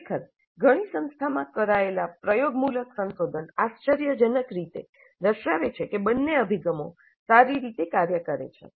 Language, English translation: Gujarati, The empirical research actually carried out in several institutes seem to indicate surprisingly that both approaches work well